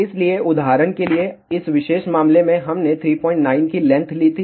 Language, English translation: Hindi, So, for example, in this particular case we had taken L as 3